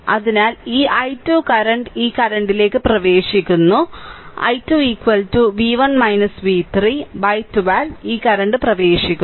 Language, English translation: Malayalam, So, in this i 2 current is entering this current i 2 is equal to v 1 minus v 3 by 12 this current is entering